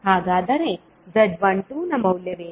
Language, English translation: Kannada, So, what would be the value of Z12